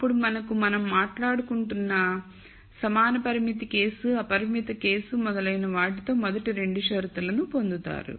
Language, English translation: Telugu, You will get the first 2 conditions that we have been talking about for the con strained case with equality constraint, unconstrained case and so on